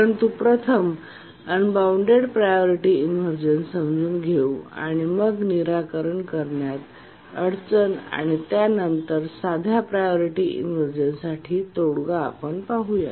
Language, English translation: Marathi, Let's try to first understand unbounded priority inversion and then we'll see why it is difficult to solve and how can the simple priority inversion problem be solved